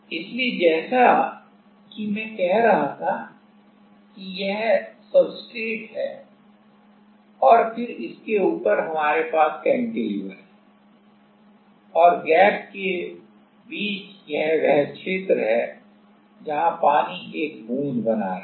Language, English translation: Hindi, So, as I was saying that this is the substrate and then on top we have we have the cantilever and in between the gap this is the region, where the water was forming a droplet